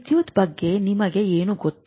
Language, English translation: Kannada, So, what do you know about electricity